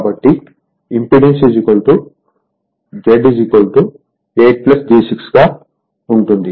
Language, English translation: Telugu, Therefore, impedance Z will be 8 plus j 6 ohm